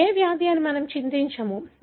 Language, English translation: Telugu, Let us not worry about what disease it is